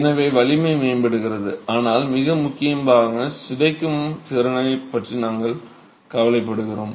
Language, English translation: Tamil, So, strength improves, but more importantly, we are concerned about the deformation capacity